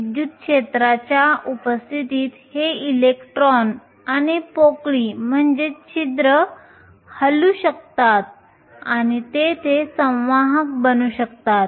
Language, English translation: Marathi, In the presence of an electric field these electrons and holes can move and there cause conduction